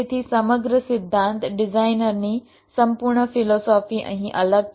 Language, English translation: Gujarati, so the entire principle, ah, the entire philosophy of design here is different